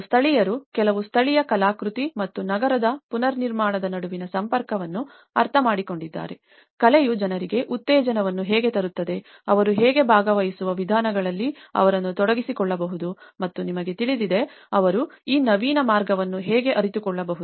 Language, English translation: Kannada, And the locals, few locals have understood the connection between the artwork and the reconstruction of the city, how art can actually bring encouragements with the people, how they can engage them in the participatory ways and you know, how they can realize this innovative way of connecting with the art and many workshops have been conducted by the artists coming from different parts of Italy